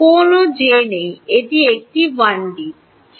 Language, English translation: Bengali, There is no j let us make it 1 d